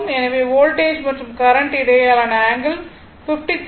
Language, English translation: Tamil, So, angle between the voltage as current is 53